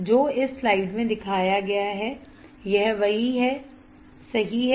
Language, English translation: Hindi, This is what is shown in this slide this is what is shown in this slide, right